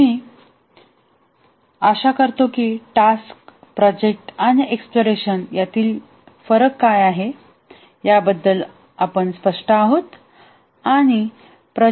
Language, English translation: Marathi, Now I hope that we are clear about what is the difference between a task, a project and an exploration